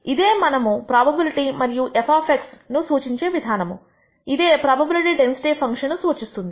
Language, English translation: Telugu, That is how we de ne the probability and f of x which defines this function is called the probability density function